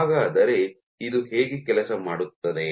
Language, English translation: Kannada, How does it work